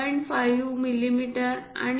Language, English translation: Marathi, 5 millimeters, 0